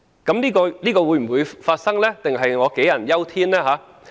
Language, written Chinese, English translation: Cantonese, 這種情況會否出現，還是我杞人憂天？, Will this happen? . Or am I being excessively paranoid?